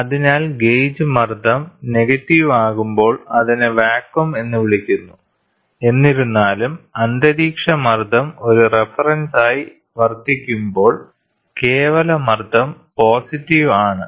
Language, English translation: Malayalam, So, when the gauge pressure is negative it is called as vacuum; however, atmospheric pressure serves as a reference and absolute pressure is positive